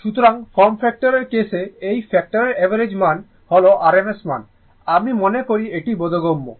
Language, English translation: Bengali, So, form factor case factor average value rms value, I think it is understandable to you right